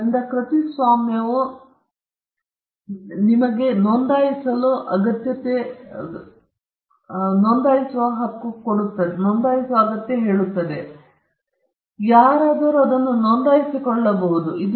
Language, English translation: Kannada, So, copyright is the exception where you need not need to register it for enforcing it, but registration, there is a possibility, there is a way in which you can you can register it